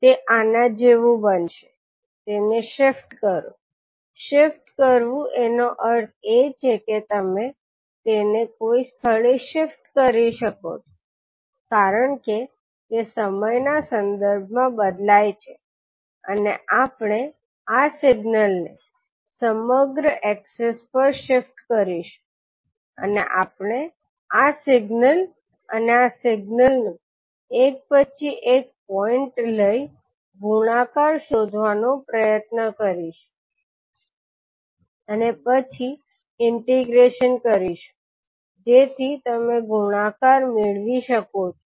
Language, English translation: Gujarati, So this will become like this, shifting it, shifting it means you can shift it at some location because it will vary with respect to time and we will keep on shifting this signal across the access and we will try to find out the multiplication of this signal and this signal point by point and then integrate it so that you can get the product